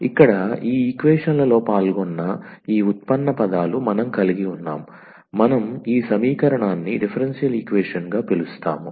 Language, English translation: Telugu, So, we have these derivative terms involving in these equations and therefore, we call this equation as the differential equation